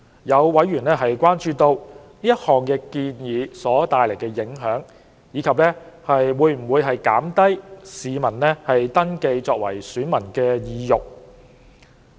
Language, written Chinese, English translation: Cantonese, 有委員關注到，該項建議所帶來的影響，以及會否減低市民登記為選民的意欲。, A member is concerned about the impact of the proposal and whether it may dampen the desire of members of the public to register as electors